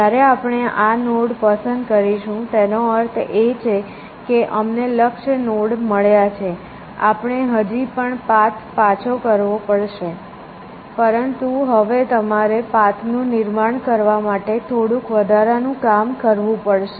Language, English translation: Gujarati, So, let me say this stands for the fact that we have found the goal node, we have to still return the path, but now you have to do a little bit of extra work, to reconstruct the path